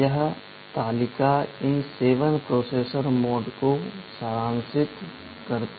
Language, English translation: Hindi, This table summarizes these 7 processor modes